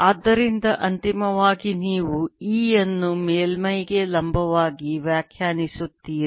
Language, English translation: Kannada, so finally, you interpreting e becoming perpendicular to the surface